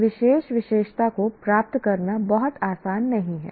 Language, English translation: Hindi, To acquire that particular characteristic is not going to be very easy